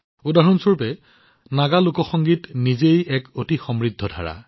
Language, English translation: Assamese, For example, Naga folk music is a very rich genre in itself